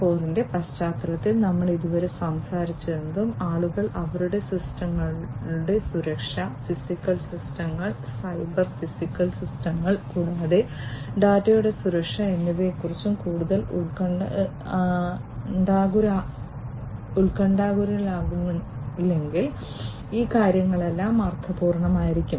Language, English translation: Malayalam, 0 whatever we have talked about so far, all these things would be meaningful, if people are not much concerned about the security of their systems, the physical systems, the cyber systems, the cyber physical systems in fact, and also the security of the data